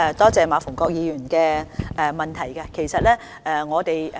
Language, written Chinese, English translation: Cantonese, 多謝馬逢國議員的補充質詢。, I thank Mr MA Fung - kwok for his supplementary question